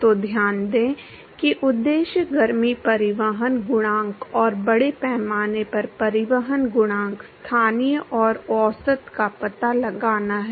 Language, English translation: Hindi, So, note the objective is to find the heat transport coefficient, and mass transport coefficient, local and the average